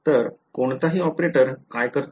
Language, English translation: Marathi, So, what does any operator do